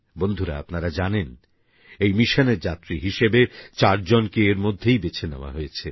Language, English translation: Bengali, Friends, you would be aware that four candidates have been already selected as astronauts for this mission